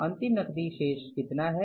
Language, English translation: Hindi, How much is the closing cash balance